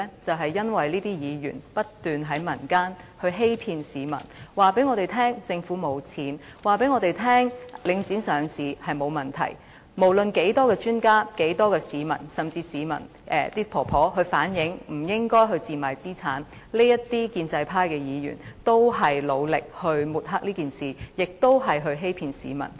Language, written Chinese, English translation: Cantonese, 便是因為這些議員不斷在民間欺騙市民，告訴我們政府沒有錢，告訴我們領匯上市沒有問題，無論多少專家、多少市民，甚至有婆婆反映不應該賤賣資產，這些建制派議員仍然努力抹黑，並且欺騙市民。, It was because these Members had kept on deceiving the public in the community telling us that the Government was short of funds and that there would not be any problem with the listing of The Link REIT . Irrespective of how many experts and members of the public and even some elderly ladies expressing the view that the assets should not be sold at rock - bottom prices these pro - establishment Members continued to make every effort to sling mud at them and deceive the public